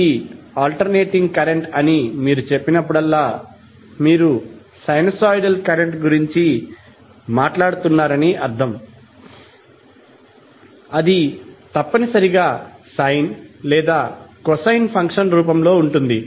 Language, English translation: Telugu, So, whenever you say that this is alternating current, that means that you are talking about sinusoidal current that would essentially either in the form of sine or cosine function